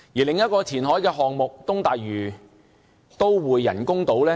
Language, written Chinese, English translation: Cantonese, 另一個填海項目是東大嶼都會人工島。, Another reclamation project concerns the artificial islands of East Lantau Metropolis